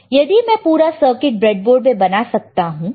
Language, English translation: Hindi, So, if I make the entire circuit on the breadboard entire circuit